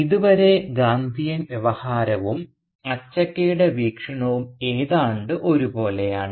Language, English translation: Malayalam, And so far Gandhian Discourse and Achakka’s point of view are almost the same